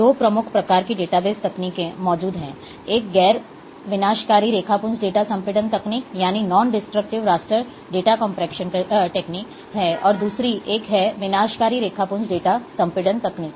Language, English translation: Hindi, Two major types of a data base techniques, which exist, one is a, we can say that, that they are non destructive raster data compression techniques, and another one is, destructive raster data compression techniques